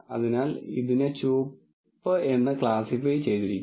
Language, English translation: Malayalam, So, this is classified as red and so on